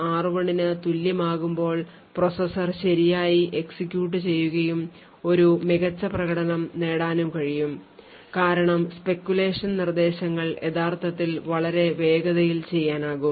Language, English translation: Malayalam, So, when the processor as executed correctly in this case when r0 is equal to r1 then a performance is gained because the speculated instructions could actually be committed at a much more faster rate